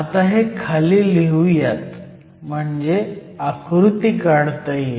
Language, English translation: Marathi, Let me actually write that below, so I can draw the diagram